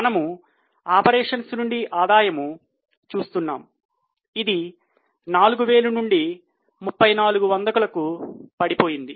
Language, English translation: Telugu, So, you can see that the revenue from operations gross has fallen from 4078 to 3407